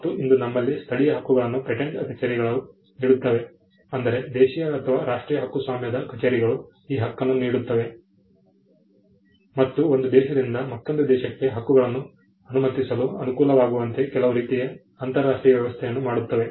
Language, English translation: Kannada, But all that we have today is local rights granted by the local patent office, Domestic or National Patent Offices granting the rights; and some kind of an international arrangement to facilitate rights moving from one country to another